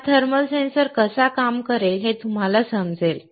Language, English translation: Marathi, You will understand how this thermal sensor would work